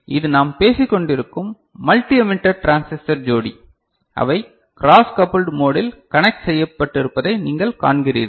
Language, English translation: Tamil, So, this is the multi emitter transistor pair that we have been talking about and you see that they are connected in a cross coupled mode